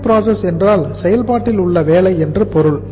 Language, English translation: Tamil, WIP means work in process